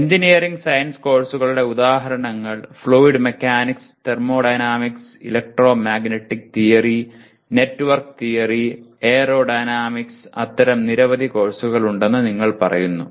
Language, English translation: Malayalam, Engineering science courses examples Are Fluid Mechanics, Thermodynamics, Electromagnetic Theory, Network Theory, Aerodynamics; you call it there are several such courses